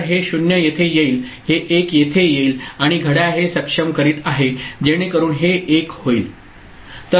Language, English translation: Marathi, So, this 0 comes over here this 1 comes over here and clock is enabling it so this will become 1